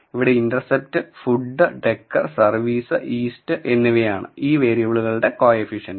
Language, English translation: Malayalam, So, here we say that intercept, food, decor, service and east and these are the coefficients for these variables